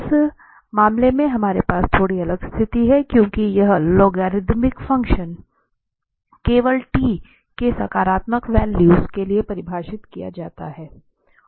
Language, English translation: Hindi, So, in this case we have a slightly different situation because this logarithmic function is defined only for positive values of t